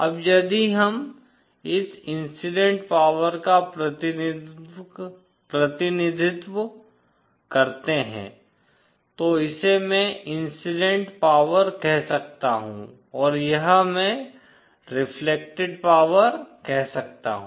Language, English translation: Hindi, Now, if we represent this incident power so this I can call incident power and this I can call the reflected power